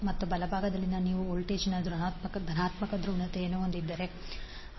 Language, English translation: Kannada, And at the right side you have positive polarity of the voltage